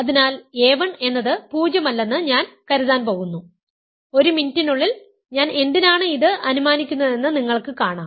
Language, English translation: Malayalam, So, I am going to assume that assume a 1 is not 0, you will see why I will assume that in a minute